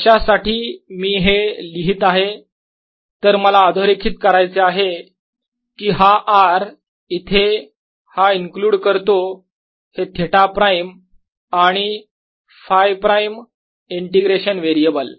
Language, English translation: Marathi, why i am writing this is because i want to emphasize that this r out here includes these theta prime and phi prime, the integration variables